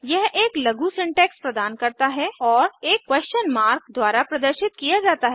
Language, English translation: Hindi, It Provides a short syntax and is denoted by a question mark